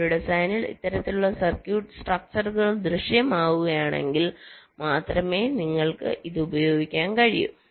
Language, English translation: Malayalam, if this kind of structure appears in a design, then only you can use this